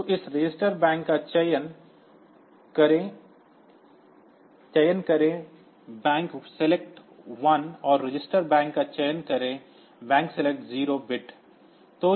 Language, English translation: Hindi, So, this register bank select 1 and register bank select 0 bits